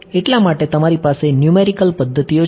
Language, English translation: Gujarati, That is why you have numerical methods